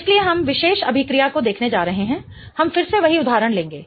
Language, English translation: Hindi, So, we are going to look at a particular reaction here